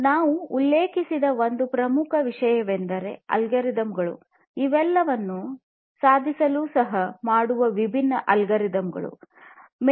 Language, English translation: Kannada, One very important thing I have not mentioned yet; it is basically the algorithms, the different algorithms that can help in achieving all of these